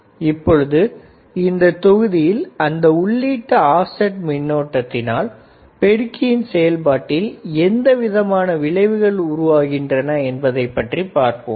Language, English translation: Tamil, This module we will see what exactly is an input, offset current and how does input offset current effects the amplifier operation right